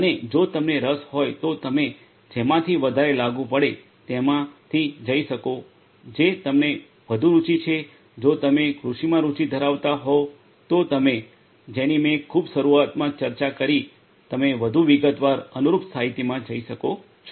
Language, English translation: Gujarati, And if you are interested you can go through whichever is more applicable to you whichever interests you more if you are from if you have interests in agriculture the ones that I discussed at the very beginning you can go through the corresponding literature in further detail